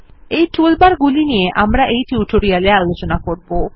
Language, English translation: Bengali, We will learn more about the toolbars as the tutorials progress